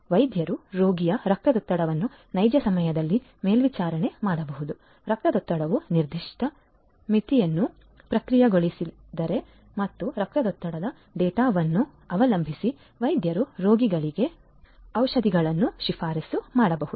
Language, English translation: Kannada, Doctors can monitor the patient’s blood pressure in real time; can get alerts if the blood pressure process a particular threshold and doctors can depending on the blood pressure data, the doctors can prescribe medicines to the patients